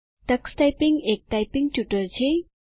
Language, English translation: Gujarati, Tux Typing is a typing tutor